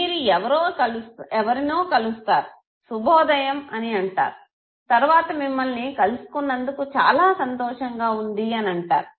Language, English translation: Telugu, You meet somebody you say, good morning and you say nice meeting you okay